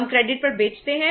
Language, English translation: Hindi, We are sold on credit